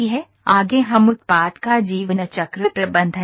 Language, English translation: Hindi, Next we will take the product lifecycle management